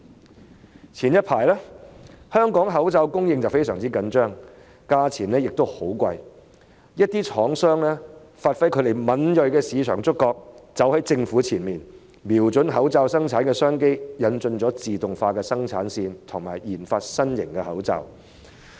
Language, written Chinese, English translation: Cantonese, 早前香港的口罩供應非常緊張，價格亦十分昂貴，一些廠商發揮敏銳的市場觸覺，走在政府前方，瞄準口罩生產的商機，引進自動化生產線，以及研發新型口罩。, Earlier the supply of masks in Hong Kong was very tight and their prices were also very expensive . Some manufacturers have manifested their market acumen walked ahead of the Government and set eyes on the business opportunity of mask production by introducing automated production lines and conducting research on new types of masks